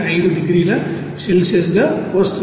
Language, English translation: Telugu, 5 degrees Celsius